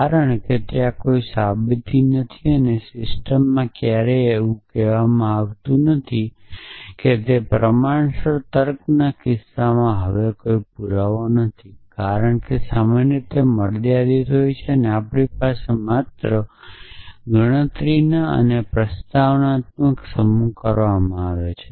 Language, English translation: Gujarati, Because there is no proof and the system my never come out saying that there is no proof now in the case of proportional logic, because we have only dealing with a countably, countable set of propositions when usually it is finite